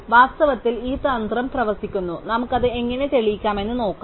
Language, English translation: Malayalam, So, in fact this strategy does work and let us see how we can prove it